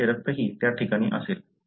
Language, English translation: Marathi, His blood also would be there in the spot